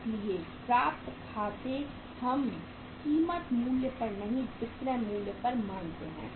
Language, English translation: Hindi, So accounts receivable we assume at the selling price not at the cost price